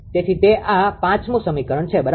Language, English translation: Gujarati, So, that is this is equation 5 right